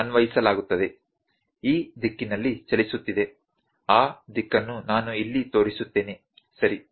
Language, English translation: Kannada, I will put the direction here it is moving in this direction, ok